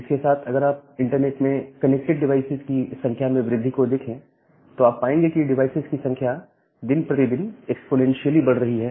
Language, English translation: Hindi, Now with this if you look into the grow of devices which we get connected to internet, then you will see that the number of devices are growing exponentially day by day